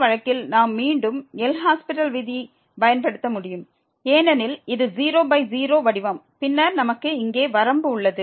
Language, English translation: Tamil, And in this case we can apply again a L’Hospital rule because this is 0 by 0 form and then we have limit here